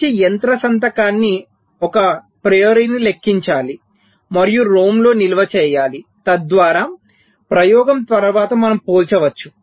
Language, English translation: Telugu, so the good machine signature must be computed a priori and stored in a rom so that after the experiment we can compare right